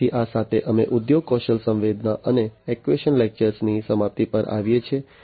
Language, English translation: Gujarati, So, with this we come to an end of industry skill sensing and actuation lecture